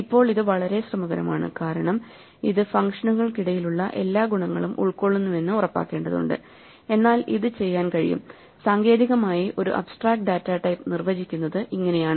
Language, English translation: Malayalam, Now this can be very tedious because you have to make sure that it capture all the properties between functions, but this can be done and this is technically how an abstract data type is defined